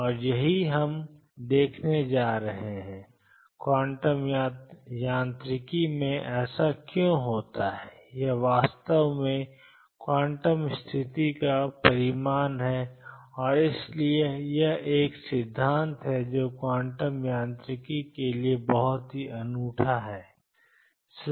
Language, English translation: Hindi, And that is what we are going to see why it happens in quantum mechanics it actually is a result of the quantum condition and therefore, this is a principle which is very unique to quantum mechanics